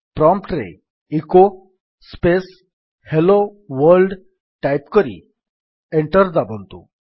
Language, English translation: Odia, Type at the prompt: echo space Hello World and press Enter